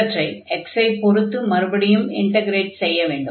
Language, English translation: Tamil, So, once we integrate this one, then we have to integrate then with respect to x